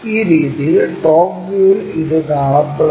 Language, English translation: Malayalam, In this way, it looks like in the top view